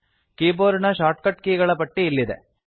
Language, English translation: Kannada, Here is the list of keyboard shortcuts